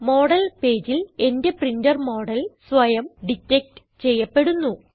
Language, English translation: Malayalam, In the Model page, my printer model is automatically detected